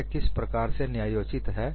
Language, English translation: Hindi, How this is justified